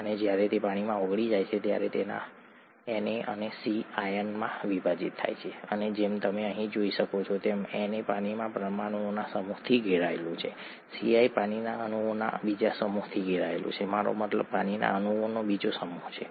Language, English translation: Gujarati, And when it is dissolved in water it splits up into its ions Na and Cl and as you can see here, Na gets surrounded by a set of water molecules, Cl gets surrounded by another set of water molecules I mean another set of water molecules oriented differently